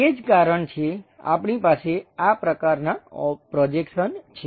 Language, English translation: Gujarati, That is the reason, we have this kind of projection